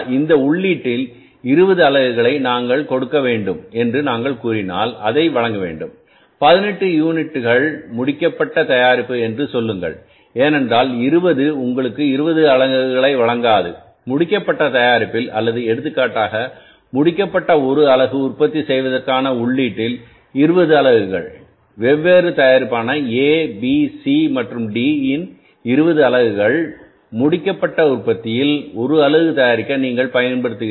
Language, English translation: Tamil, And we expected that if we give this much of the input, say if we give the 20 units of the input, we should expect, say, 18 units of the finished product because 20 will not give you the 20 units of the finished product or for example 20 units of the input for manufacturing the one unit of the finished product, 20 units of the standard different products, A, B, C and D, you are using 20 units to manufacture the one unit of the finished product